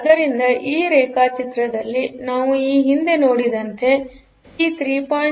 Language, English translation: Kannada, So, as we are have seen previously like in this diagram we can see that P3